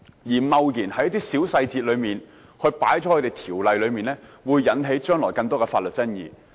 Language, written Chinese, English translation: Cantonese, 如果我們貿然將一些小細節加入《條例草案》，將來會引起更多的法律爭議。, Any reckless inclusion of some details in the Bill will give rise to more legal disputes in the future